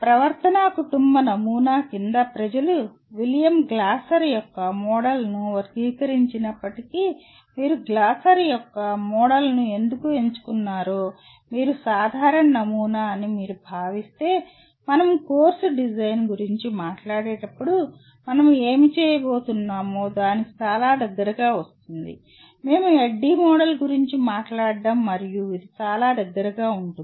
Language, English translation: Telugu, But if you consider what you may call was generic model though people classify William Glasser’s Model under behavioral family model but why we chose Glasser’s model of teaching is, it comes pretty close to what we are going to when we talk about course design, we are talking of ADDIE Model and this comes pretty close to that